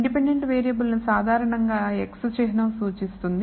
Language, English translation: Telugu, So, the independent variable is denoted by the symbol x typically